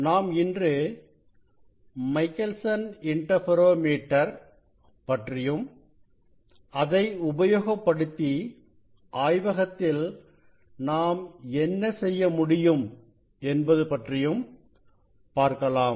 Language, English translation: Tamil, Today, we will demonstrate Michelson Interferometer, using the Michelson interferometer what we can do in the laboratory